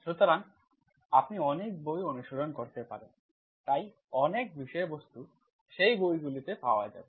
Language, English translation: Bengali, So like there are many books you can go through, so much of the contents, will be available in those books